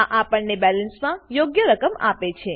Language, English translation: Gujarati, This gives us the correct amount in the balance